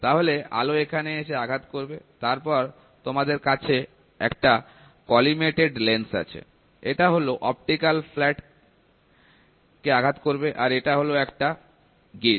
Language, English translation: Bengali, So, the light hits here then you have a collimated lens, this hits at an optical flat and here is the gauge, right